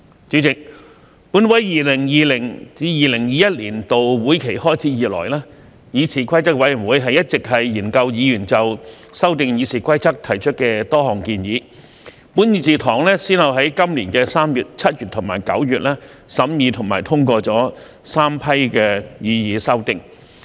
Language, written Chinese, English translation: Cantonese, 主席，本會 2020-2021 年度會期開始以來，議事規則委員會一直研究議員就修訂《議事規則》提出的多項建議，本議事堂先後於今年3月、7月及9月審議和通過3批擬議修訂。, President since the commencement of 2020 - 2021 session of this Council CRoP has been examining Members proposals to amend RoP . Three batches of proposed amendments were considered and passed in this Chamber in March July and September this year